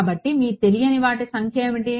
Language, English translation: Telugu, So, your number of unknowns